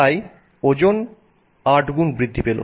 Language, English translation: Bengali, Weight has gone up by a factor of 8